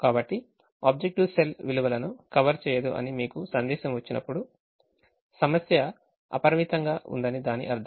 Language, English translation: Telugu, so when you get a message saying the objective cell values do not converge, it means that the problem is unbounded